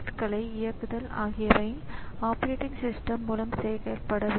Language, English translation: Tamil, So, here the actual operating system is loaded here